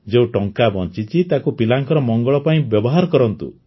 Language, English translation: Odia, The money that is saved, use it for the betterment of the children